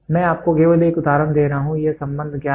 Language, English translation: Hindi, I am just giving you an example this relationship is known